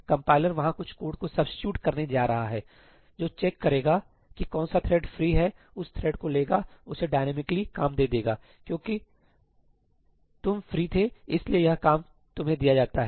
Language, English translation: Hindi, The compiler is going to substitute some code over there, which is going to check which threads are free, pick up a thread, allocate it the work dynamically, tell it that okay